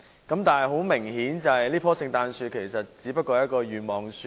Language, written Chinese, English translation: Cantonese, 不過，很明顯，這棵聖誕樹其實只是一棵願望樹。, However this Christmas tree is obviously only a wish tree